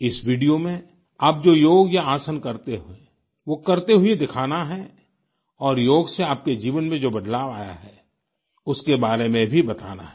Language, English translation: Hindi, In this video, you have to show performing Yoga, or Asana, that you usually do and also tell about the changes that have taken place in your life through yoga